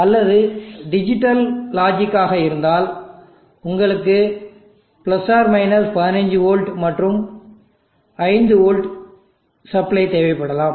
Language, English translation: Tamil, Or if there are digital logic then you may need + 15v and 5v supply